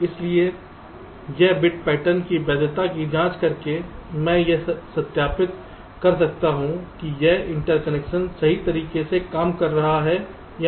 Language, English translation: Hindi, so by checking this, by checking the validity of this bit patterns, i can verify whether this interconnection is working correctly or not